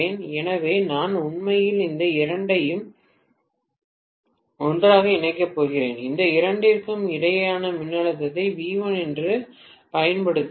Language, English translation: Tamil, So, I am going to connect actually these two together and these two together and apply the voltage between these two which is V1